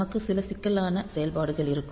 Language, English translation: Tamil, So, maybe we have to have some complex function